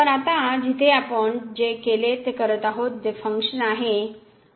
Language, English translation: Marathi, So, doing exactly what we have done there now the function is this one